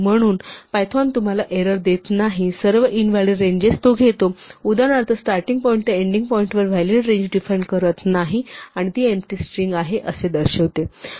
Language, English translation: Marathi, So, python does not give you an error, it takes all these invalid ranges, anything where for example, the starting point to the ending point does not define a valid range, and it says this is the empty string